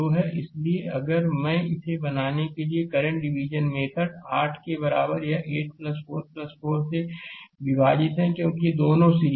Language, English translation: Hindi, So, current division method if I make it i L is equal to it is 8 divided by 8 plus 4 plus 4, because these two are in series